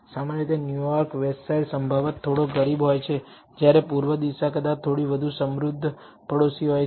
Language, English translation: Gujarati, Typically New York Westside is probably a little poorer whereas, the east side probably is a little richer neighborhood